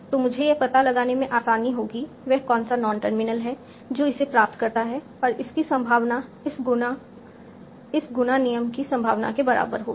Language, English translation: Hindi, So I would simply find out what is a non terminal that is driving this and put the probability as this times this times the rule probability